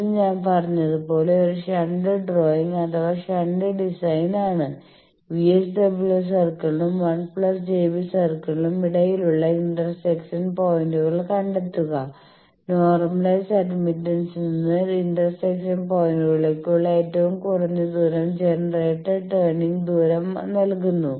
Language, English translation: Malayalam, As I said it is a shunt drawing shunt design, then find the intersection points between the circle that VSWR circle and 1 plus j beta circle, the minimum distance from the normalised admittance to the intersection points to as the generator gives the distance of the turning point from the that means, what we mean is suppose this is our smith chart